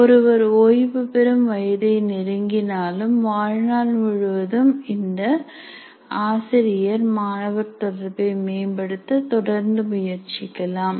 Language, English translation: Tamil, Even if he is close to retirement or any person for that matter, lifelong can continue to improve with regard to teacher student interaction